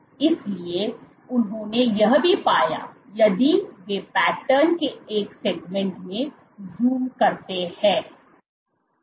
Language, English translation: Hindi, So, what they also found, so if they zoom into one segment of the pattern